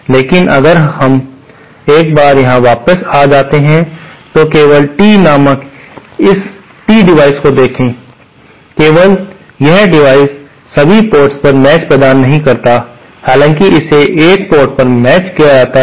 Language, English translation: Hindi, But if we can go back here once, see this only this T device called Tee, only this device does not provide matching at all ports, however it can be matched at a single port